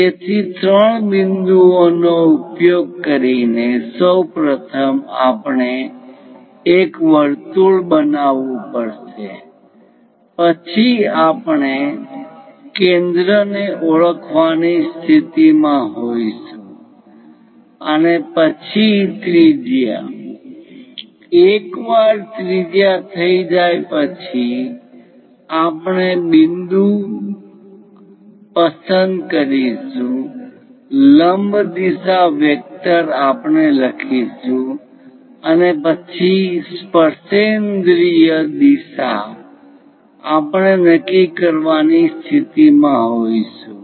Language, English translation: Gujarati, So, using three points first of all we have to construct a circle then we will be in a position to identify the centre and then radius, once radius is done we will pick the point, normal direction vector we will write and also tangent direction we will be in a position to do